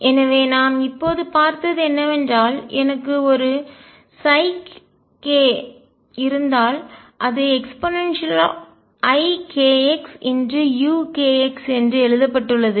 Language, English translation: Tamil, So, what we just seen is that if I have a psi k which is written as e raise to i k x u k x